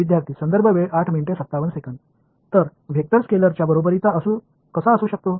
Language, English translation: Marathi, So, how can a vector be equal to scalar